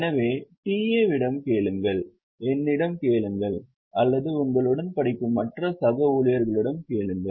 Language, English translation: Tamil, So, ask to TAs, ask to me or ask to all other colleagues who are also studying with you